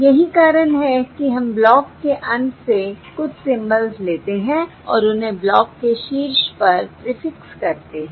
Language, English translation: Hindi, That is, we take a few symbols from the tail of the block and prefix them at the head of the block